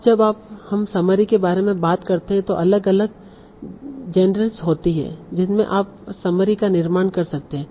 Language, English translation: Hindi, Now when we talk about summary, there are different genres in which you can produce summary